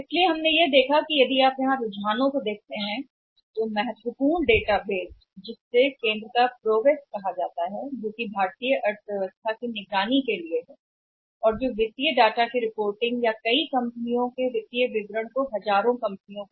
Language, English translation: Hindi, So we have seen here if you look at the trends here, important database that database is called as a PROWESS of the centre for monitoring Indian economy which is reporting say the financial data or the financial statements of many companies thousands of companies